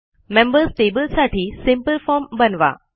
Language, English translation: Marathi, Create a simple form for the Members table